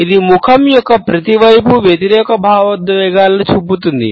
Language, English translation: Telugu, It shows opposite emotions on each side of the face